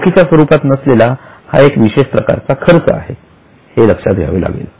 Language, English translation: Marathi, Keep in mind that this is a unique expense because it is a non cash expense